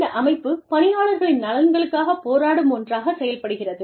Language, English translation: Tamil, The body, acts as a champion, for the employee interests